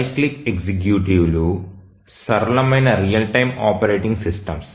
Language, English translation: Telugu, The cyclic executives are the simplest real time operating systems